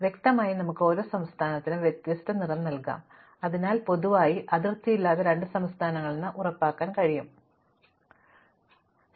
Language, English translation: Malayalam, Now, clearly we can assign every state a different color and thus we can ensure that no two states which have a boundary in common, in fact no two states anywhere in the map have the same color